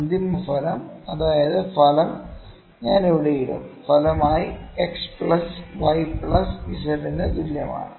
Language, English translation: Malayalam, When the final outcome that is the I will put the resultant here, the resultant is equal to x plus y plus z